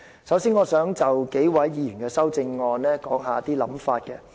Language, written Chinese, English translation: Cantonese, 首先，我想就數位議員的修正案提出一些想法。, First of all let me express my views on the amendments of some Members